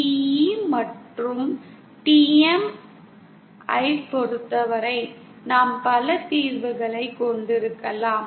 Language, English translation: Tamil, For TE and TM, we can have multiple solutions